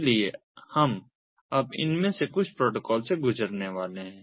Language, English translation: Hindi, so we are now going to go through some of these protocol